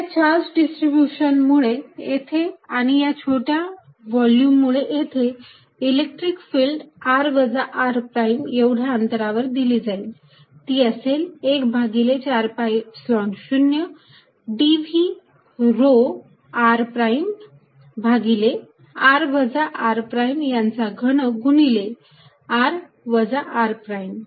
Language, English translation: Marathi, So, let us see, therefore given this distribution of charge the electric field by definition at point r is going to be 1 over 4 pi Epsilon 0, integration over this volume rho r prime over r minus r prime cubed times vector r minus r prime